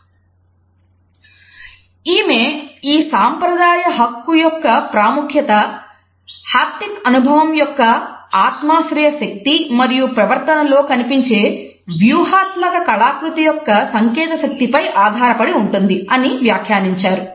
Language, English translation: Telugu, And she is commented that “the significance of this traditional right is based on the subjective power of the haptic experience and the symbolic potency of the visible tactual artifact in behavior”